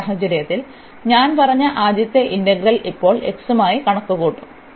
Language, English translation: Malayalam, And in this case, so here the first integral as I said, we will compute with respect to x now